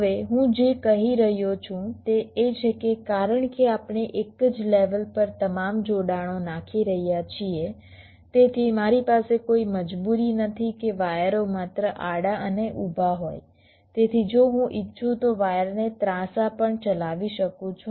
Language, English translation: Gujarati, what i am saying is that because we are laying out all the connections on the same layer, so i do not have any compulsion that the wires up to horizontal and vertical only, so i can also run the wires diagonally if i want